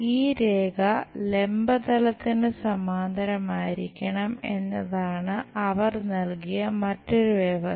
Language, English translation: Malayalam, The other condition what they have given is this line should be parallel to vertical plane